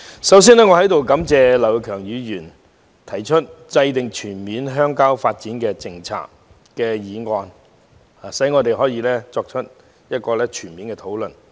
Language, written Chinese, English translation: Cantonese, 代理主席，首先要感謝劉業強議員提出"制訂全面鄉郊發展政策"的議案，讓我們可在此作出全面的討論。, Deputy President I would first of all like to thank Mr Kenneth LAU for moving the motion on Formulating a comprehensive rural development policy so that we may have a thorough discussion of the subject here